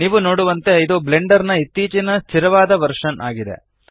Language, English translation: Kannada, As you can see, this is the latest stable version of Blender